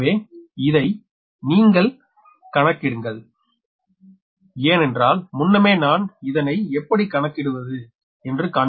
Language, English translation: Tamil, so if you compute, because previously i have shown how to make all these things right